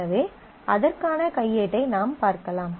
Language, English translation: Tamil, So, you can look up the manual for that